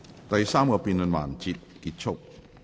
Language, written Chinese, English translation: Cantonese, 第三個辯論環節結束。, The third debate session ends